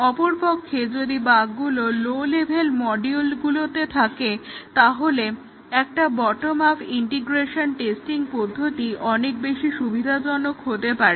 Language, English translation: Bengali, Whereas if the bugs are at the low level modules, then a bottom up integration testing would be possibly more advantageous